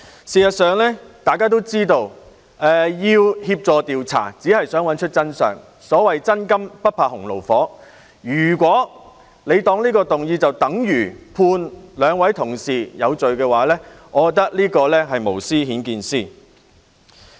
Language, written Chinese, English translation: Cantonese, 事實上，大家都知道，協助調查只是想找出真相，所謂"真金不怕洪爐火"，如果他們把這項議案視為等於判兩位同事有罪，我認為這是無私顯見私。, In fact as we all know assisting in investigation aims merely at finding out the truth . As the saying goes True gold fears no fire . If they consider that this motion is equivalent to the conviction of two Honourable colleagues I would conceive that the more they try to hide the more they are exposed